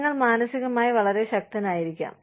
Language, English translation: Malayalam, You may be, mentally very strong